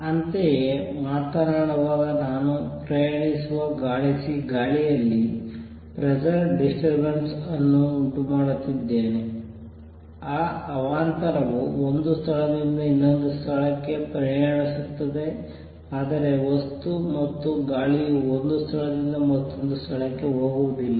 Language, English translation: Kannada, Similar, when am talking I am creating a disturbance a pressure disturbance in the air which travels; that disturbance travel from one place to other, but the material; the air does not go from one place to another